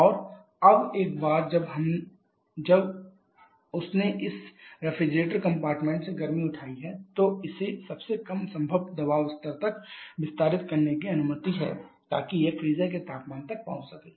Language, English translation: Hindi, And now once it has picked up the heat from this refrigerator compartment then it is allowed to expand further to the lowest possible pressure level, so that it can reach the freezer temperature